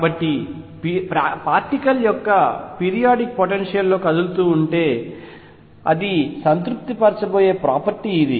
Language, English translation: Telugu, So, if a particle is moving in a periodic potential this is the property that it is going to satisfy